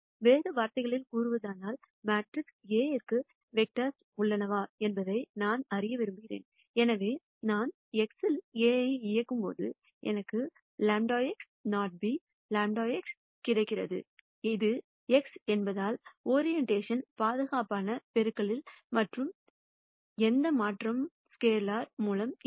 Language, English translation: Tamil, In other words I want to know if there are x vectors for matrix A such that when I operate A on x I get lambda x not b, lambda x here, the idea is because this is x, there is no change in orientation safe multiplication by a scalar